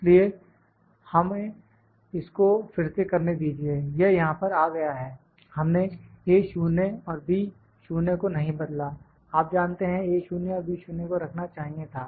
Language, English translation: Hindi, So, let us try to do this again, to it has come here, we did not change the A 0 and B 0 you know A 0 and B 0 was to be kept